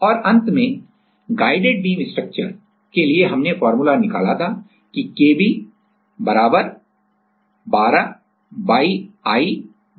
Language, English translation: Hindi, And, last we found out like for the guided beam structure we found out this formula that Kb = 12YI/L^3